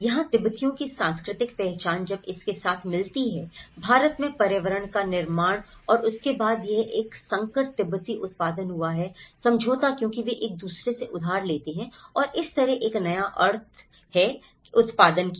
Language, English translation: Hindi, Here, the cultural identity of Tibetans when it gets mixed with the built environment in India and then and that is where this has produced a hybrid Tibetan settlement because they borrow from each other and that is how a new meanings are produced